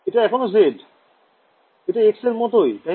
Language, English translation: Bengali, This is z still; it looks like x is it